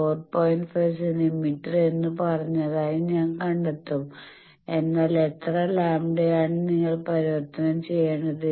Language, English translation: Malayalam, 5 centimeter, but that is how many lambda, so that you need to convert